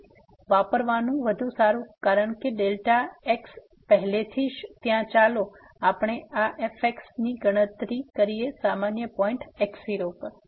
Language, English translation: Gujarati, So, better to use because delta is already there let us compute this at general point 0